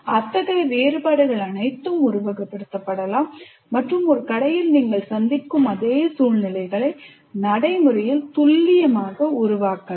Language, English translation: Tamil, So all such variations can be simulated and practically create exactly the same circumstances that you can encounter in a shop like that